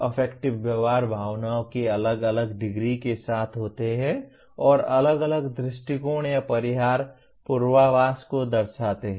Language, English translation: Hindi, Affective behaviors are accompanied by varying degrees of feelings and reflect distinct “approach” or “avoidance” predispositions